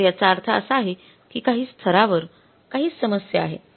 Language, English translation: Marathi, So it means there is some problem at some level